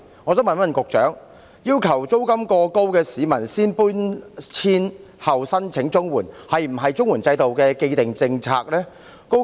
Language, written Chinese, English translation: Cantonese, 我想問局長，要求租金過高的市民先搬遷後申請綜援，是否綜援制度的既定政策？, I would like to ask the Secretary if it is the established policy of the CSSA scheme to require an applicant paying excessively high rent to relocate before filing a CSSA application